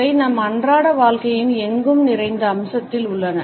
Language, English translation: Tamil, They are in ubiquitous feature of our everyday life